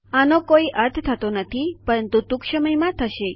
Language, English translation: Gujarati, This doesnt seem to make any sense but it will soon